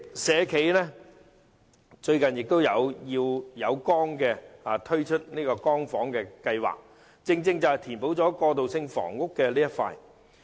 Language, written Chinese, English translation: Cantonese, 社企"要有光"最近推出"光房"計劃，正正填補了過渡性房屋的空缺之處。, The Light Home Scheme recently launched by Light Be an social enterprise can precisely fill the gap of transitional housing